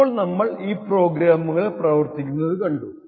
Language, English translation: Malayalam, Now that we have seen these programs work